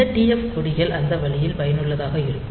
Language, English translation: Tamil, So, this TF flags are that TF bits are useful that way